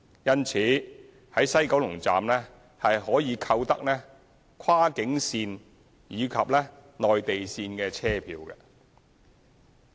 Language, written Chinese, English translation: Cantonese, 因此，在西九龍站可以購得跨境段及內地段車票。, Therefore both cross boundary journey tickets and Mainland journey tickets can be purchased at the West Kowloon Station WKS